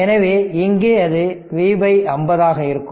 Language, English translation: Tamil, So, here it is V by 50